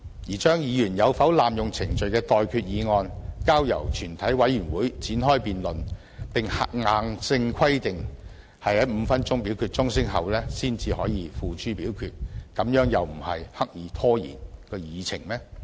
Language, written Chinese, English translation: Cantonese, 把議員有否濫用程序的待決議案交由全委會展開辯論，並硬性規定在5分鐘表決鐘聲後才可付諸表決，難道又不是刻意拖延議程嗎？, Should the proposal that the Chairman shall put the question on whether a Member has abused the procedure to the committee of the whole Council for debate and the question can only be put to vote after a division bell has been rung for five minutes not be regarded as a deliberate attempt to delay the proceedings?